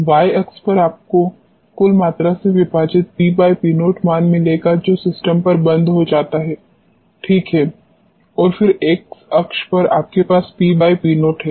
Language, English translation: Hindi, On y axis you will find the P upon P naught value divided by the total volume which gets off on the system alright and then on the x axis you have P by P naught